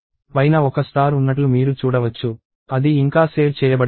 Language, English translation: Telugu, You can see that there is a star on the top, which says it is not saved yet